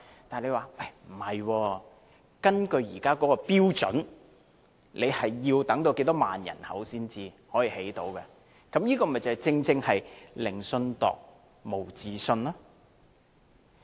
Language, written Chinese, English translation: Cantonese, 但是，政府表示，根據現行標準，要人口達到一定數量才能興建有關設施，這正是"寧信度，無自信也"。, However the Government said that under the existing standards the facilities will only be provided when a certain threshold population is reached . This is exactly a case of I would rather believe in a measuring rope than my own feet